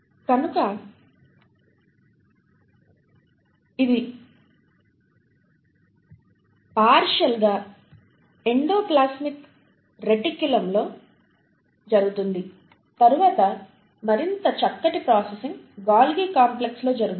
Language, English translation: Telugu, So that happens partly in the endoplasmic reticulum and then the further fine processing happens in the Golgi complex